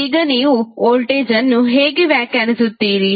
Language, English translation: Kannada, Now, how will you define the voltage